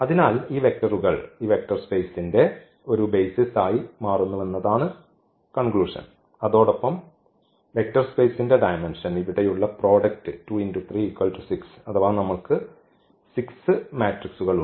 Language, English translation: Malayalam, So, what is the conclusion that these vectors form a basis for the this vector space and the dimension is nothing, but the product here 2 by 3 or we have this 6 matrices